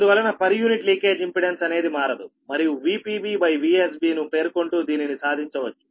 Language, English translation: Telugu, therefore, per unit leakage impedance remain unchanged, and this has been achieved by specifying v p b base upon v s b rate